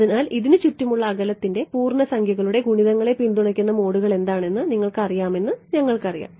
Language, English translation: Malayalam, So, we know that you know integer multiples of the distance around this are what will be the supported modes ok